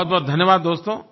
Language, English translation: Hindi, Many many thanks, friends